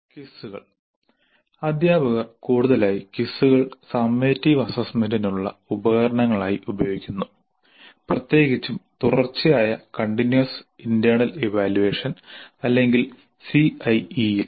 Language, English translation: Malayalam, Now quizzes teachers are increasingly using quizzes as summative assessment instruments, particularly in continuous internal evaluation or CIE